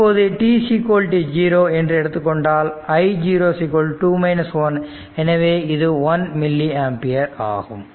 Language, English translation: Tamil, So, in that case you will get i 0 is equal to 2 minus 1, so 1 milli ampere